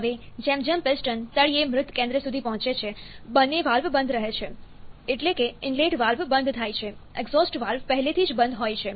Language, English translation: Gujarati, Now, as the piston reaches the bottom dead centre, both the valves remains closed that is inlet valve closes, exhaust valve wad already closed